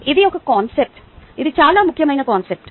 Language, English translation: Telugu, its a very important concept